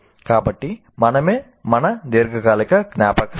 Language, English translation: Telugu, So we are what our long term memory is